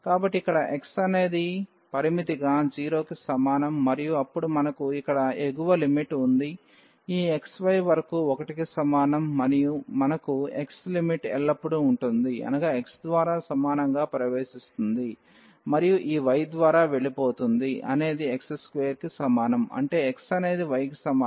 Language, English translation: Telugu, So, here we have x is equal to 0 as the limit and then we have the upper limit here which is up to this x y is equal to 1 we have the limit of x always enters through this x is equal to 0 and leaves through this y is equal to x square; that means, x is equal to square root y